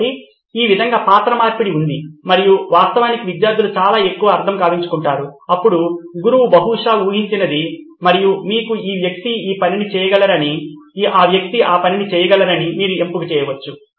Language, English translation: Telugu, So this way there is a role reversal and actually the students end up retaining a lot lot more then what the teacher could have possibly imagined and you can be selective saying this guy can do this job and that guy can do that job, so you can actually do that